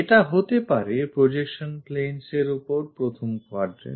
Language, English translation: Bengali, It can be in the first quadrant of projection planes